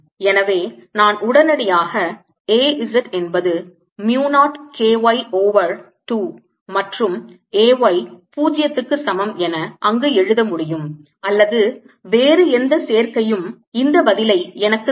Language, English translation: Tamil, so i can immediately write there: either a z is equal to mu, not k, y over two, and a y is equal to zero, or any other combination that gives me thois answer